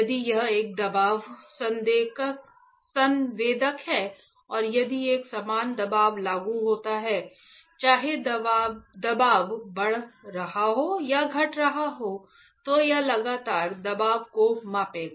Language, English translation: Hindi, If it is a pressure sensor and if there is a uniform pressure applied whether the pressure is increasing or decreasing, it will constantly measure the pressure